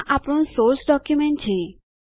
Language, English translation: Gujarati, This is our source document